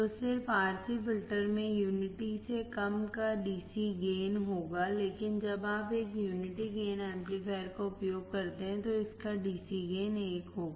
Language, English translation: Hindi, So, just RC filter will have DC gain of less than unity; but when you use a unity gain amplifier it will have a DC gain of one